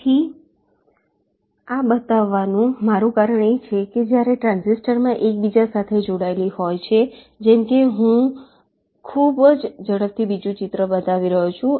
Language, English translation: Gujarati, ok, so the reason i am showing this is that when the transistors are interconnected like i am showing another picture very quickly